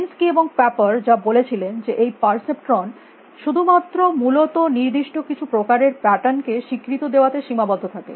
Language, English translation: Bengali, What minsky and paper should in 1969 was that perception was limited to recognizing only certain kinds of patterns essentially